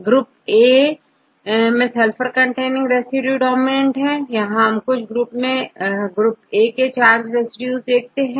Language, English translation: Hindi, Some of this, the sulfur containing residues they are dominant in the case of group A, here you can see some cases, also mainly charged residues in group A